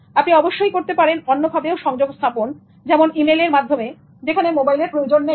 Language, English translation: Bengali, You can also use other modes of communication such as email effectively when mobile is not required